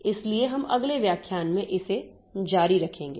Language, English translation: Hindi, So, we'll continue with this in the next lecture